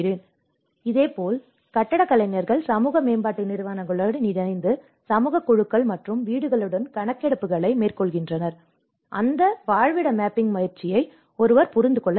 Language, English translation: Tamil, So, similarly the architects work with the social development agencies to carry out surveys with community groups and house because one has to understand that habitat mapping exercise